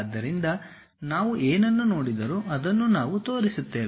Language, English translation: Kannada, So, whatever we see that is the only thing what we show it